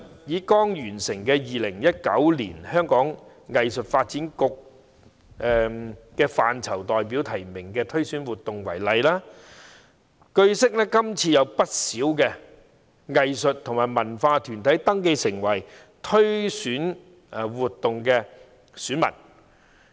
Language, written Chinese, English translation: Cantonese, 以剛完成的 "2019 年香港藝術發展局藝術範疇代表提名推選活動"為例，據悉今次有不少藝術和文化團體登記成為選民。, Take for example the 2019 Nomination of Representatives of Arts Interests for the Hong Kong Arts Development Council which has just been completed . It is learnt that many arts and cultural bodies have registered as electors in the current exercise